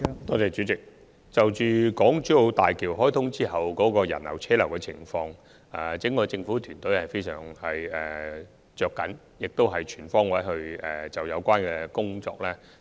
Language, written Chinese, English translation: Cantonese, 代理主席，關於港珠澳大橋開通後的人流和車流問題，整個政府團隊也是相當着緊的，亦會全方位改善相關工作。, Deputy President the whole government team is very concerned about the visitor flow and traffic flow after the commissioning of HZMB and will make improvements on all fronts